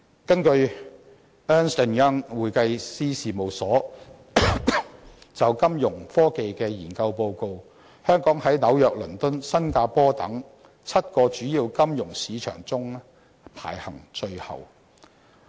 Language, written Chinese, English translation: Cantonese, 根據 Ernst & Young 會計師事務所就金融科技所作的研究報告，香港在紐約、倫敦和新加坡等7個主要金融市場中，排行最後。, According to a Fintech research report by the accounting firm Ernst Young Hong Kong ranks last in a list of seven major financial markets after New York London Singapore and a few others